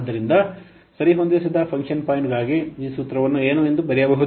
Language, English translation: Kannada, So, this formula for on adjusted function point can be written as what